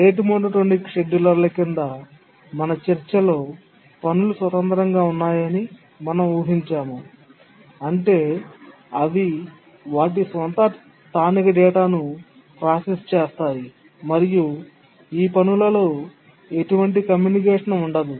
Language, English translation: Telugu, But in our discussion on the rate monotonic schedulers, we had assumed the tasks are independent in the sense that they process on their own local data and there is no communication whatever required among these tasks